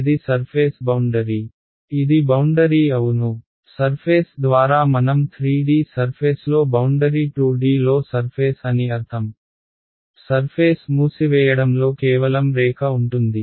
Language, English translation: Telugu, It is the boundary yeah, by surface I mean boundary in 3D r surface is a surface in in 2D the surface will be just the line in closing it right